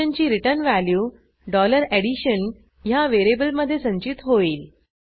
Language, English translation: Marathi, The return value of the function is caught in $addition variable